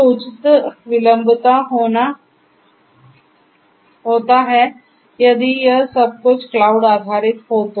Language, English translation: Hindi, So, higher latency is going to be there if it if everything is cloud based